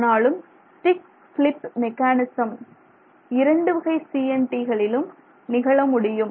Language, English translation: Tamil, However, the, you know, stick slip mechanism potentially can exist for both the CNTs